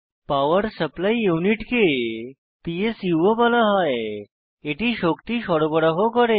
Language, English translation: Bengali, Power Supply Unit, also called PSU, supplies power to the computer